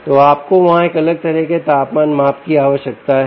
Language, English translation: Hindi, if you want to measure such a temperature